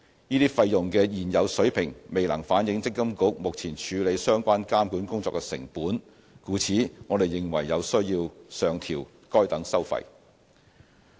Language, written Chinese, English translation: Cantonese, 這些費用的現有水平未能反映積金局目前處理相關監管工作的成本，故此，我們認為有需要上調該等收費。, The existing levels of these fees cannot reflect the current costs borne by MPFA in conducting the relevant supervisory work . We therefore consider it necessary to raise these fees